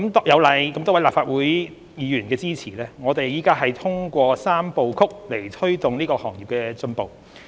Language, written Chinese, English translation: Cantonese, 有賴多位立法會議員的支持，我們正通過"三步曲"來推動這個行業的進步。, Thanks to the support of a number of Legislative Council Members we are taking a three - step approach to promote the development of this sector